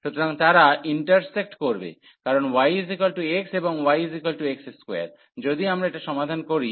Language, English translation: Bengali, So, they intersect because y is equal to x and y is equal to x square, if we solve here